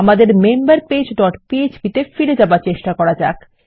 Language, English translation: Bengali, Trying to go back to our member page dot php